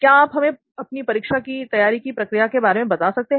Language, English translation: Hindi, Can you just take us through the process of your preparation for exam